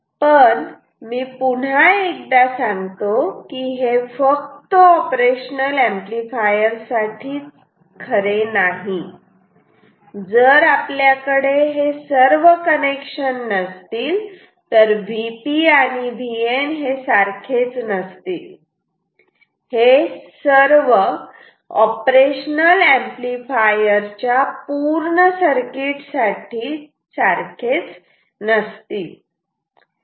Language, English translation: Marathi, But once again let me tell you this is not true for only the op amp , if we do not have all this connections V P and V N will not be same; it will not be same for all circuits it will not be same for only op amp